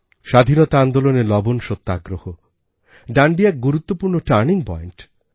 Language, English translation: Bengali, In our Freedom struggle, the salt satyagrah at Dandi was an important turning point